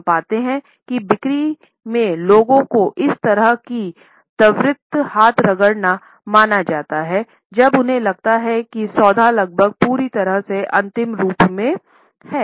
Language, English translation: Hindi, Similarly we find that in sales people this type of a quick hand rub is perceived when they feel that a deal is almost completely finalized